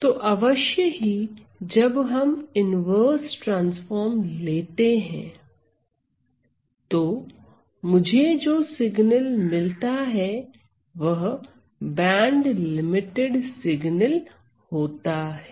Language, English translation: Hindi, So, then of course, when we take an inverse transform, I get that the signal is the band limited signal